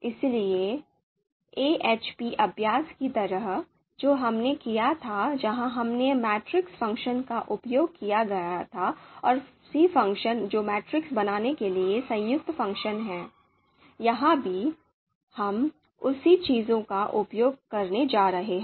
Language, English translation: Hindi, So just like in the you know AHP exercise that we did where we had used the matrix function and the c function that is combined function to actually you know create the matrix, so here again we are going to use the same thing